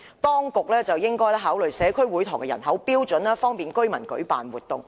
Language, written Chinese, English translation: Cantonese, 當局應該考慮社區會堂的人口標準，方便居民舉辦活動。, The authorities should consider the population standard for provision of community halls so as to facilitate residents in organizing activities